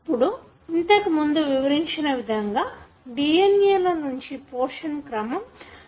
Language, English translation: Telugu, Now as I explained, a portion of the DNA sequence is transcribed into RNA